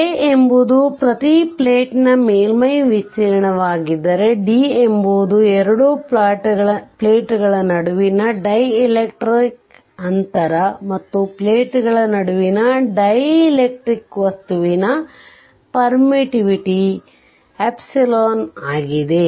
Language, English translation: Kannada, Where A is the surface area of each plate, d is the dielectric distance between two your distance between two plates right and an epsilon the permittivity of the dielectric material between the plates right